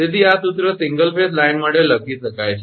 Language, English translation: Gujarati, So, this way this formula can be written, for single phase line